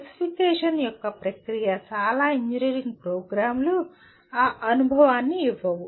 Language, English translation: Telugu, The process of specification itself, most of the engineering programs do not give that experience